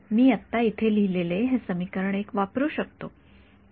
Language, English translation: Marathi, I can now use this equation 1 that I have written over here right